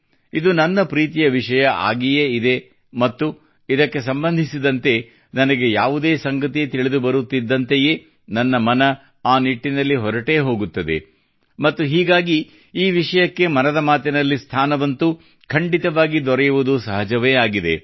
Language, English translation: Kannada, It of course is my favorite topic as well and as soon as I receive any news related to it, my mind veers towards it… and it is naturalfor it to certainly find a mention in 'Mann Ki Baat'